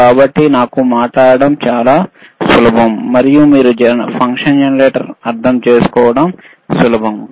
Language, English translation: Telugu, So, it is easy for me to talk, and easy for you to understand the function generator, all right